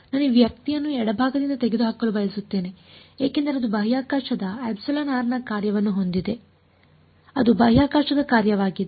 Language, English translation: Kannada, I want to get I want to remove this guy from the left hand side because it has a function of space epsilon r is a function of space